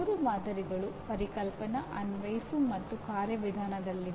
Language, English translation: Kannada, Three samples are located in Conceptual, Apply and Procedural